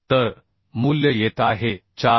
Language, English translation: Marathi, 5 so the value is coming 4